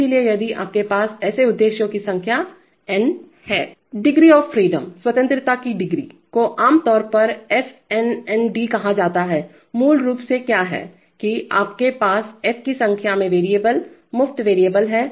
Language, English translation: Hindi, So if you have n* number of such objectives then The degree of freedom is typically called f n nd, basically what, that is you have f number of variables, free variables